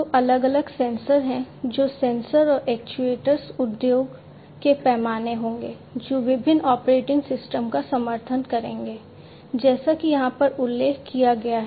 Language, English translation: Hindi, So, there are different sensors which would sensors and actuators industry scale which would support different operating systems, such as the ones that are mentioned over here